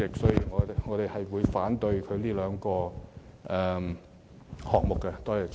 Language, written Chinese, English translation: Cantonese, 主席，我們會反對有關的修正案。, Chairman we will vote against the relevant amendments